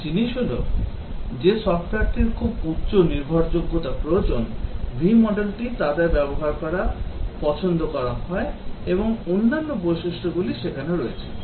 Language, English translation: Bengali, One thing is that, the software which require very high reliability, the V model is preferred to be used their and the other characteristics are there